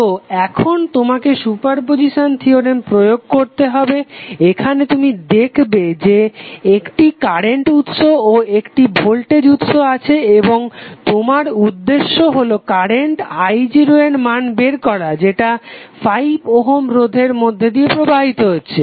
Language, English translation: Bengali, So now you have to apply the super position theorem, here you will see that you have 1 current source 1 voltage source and your objective is to find out the value of current i0 which is flowing through 5 Ohm resistance